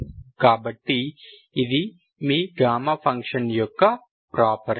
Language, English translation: Telugu, So this is your property of gamma function